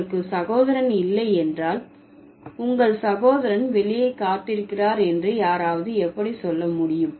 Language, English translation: Tamil, If you don't have a brother, how can somebody say that your brother is waiting outside